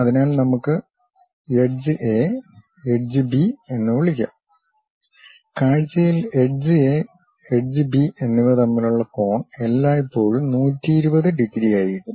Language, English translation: Malayalam, So, let us call edge A, edge B; the angle between edge A and edge B in the view always be 120 degrees